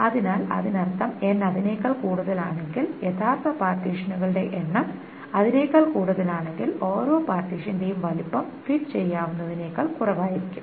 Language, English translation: Malayalam, So that means if N is more than that if the actual number of partitions is more than then then each partition the size of each partition will be less than what can be fit